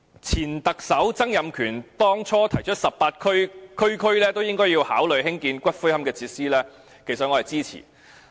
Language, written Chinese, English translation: Cantonese, 前特首曾蔭權當初提出18區每區也應考慮興建龕場設施，我其實是支持的。, When former Chief Executive Donald TSANG proposed that we should consider building columbarium facilities in each of the 18 districts I actually supported the idea